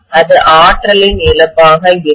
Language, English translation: Tamil, This is going to be the energy loss, right